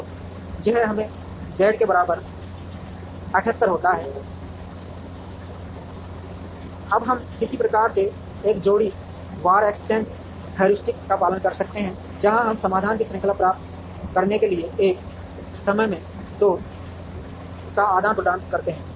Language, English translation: Hindi, So, this gives us Z equal to 78, now we could follow some kind of a pair wise exchange heuristic, where we exchange two at a time to get a series of solutions